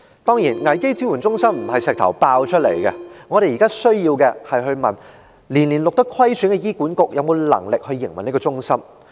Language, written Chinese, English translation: Cantonese, 當然，危機支援中心並非破石而出，我們現在要問的是：虧損年年的醫院管理局有否能力營運這個中心？, Certainly a crisis support centre is not something popping up from nowhere . What we have to ask now is whether the Hospital Authority HA has the ability to run this centre while suffering financial deficits year after year